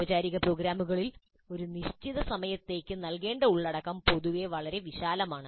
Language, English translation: Malayalam, In formal programs, the content to be delivered in a fixed time is generally quite vast